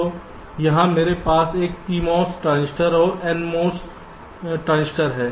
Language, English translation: Hindi, so here i have a p mos transistor and n mos transistor